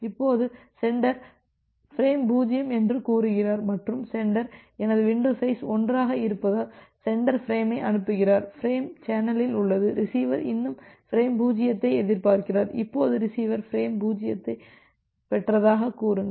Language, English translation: Tamil, Now, sender has transmitted say frame 0 and the sender is blocked here because my window size is 1 and sender is transmitting the frame, the frame is on the channel, receiver is still expecting frame 0, now say receiver has received frame 0